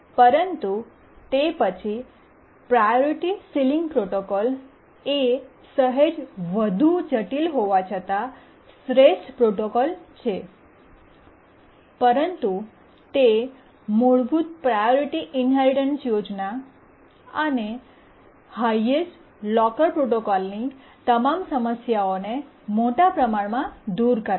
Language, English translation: Gujarati, But then the priority sealing protocol is the best protocol even though it is slightly more complicated but it overcomes largely overcomes all the problems of the basic priority inheritance scheme and the highest locker protocol